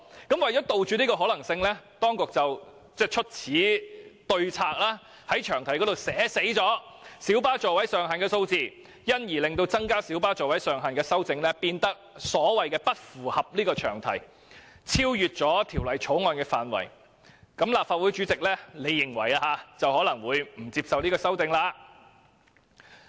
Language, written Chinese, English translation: Cantonese, 因此，為了杜絕這個可能性，當局唯有在詳題寫明小巴座位上限的數字，令增加小巴座位上限的修正案變成不符合詳題，因而超出《條例草案》的涵蓋範圍，這樣立法會主席便可以不接受提出有關的修正案。, Hence to prevent this possibility the authorities have no choice but to specify the maximum seating capacity of light buses in the long title making any CSA to increase the maximum seating capacity of light buses inconsistent with the long title and outside the scope of the Bill . Thus the President of the Legislative Council can refuse to admit the CSA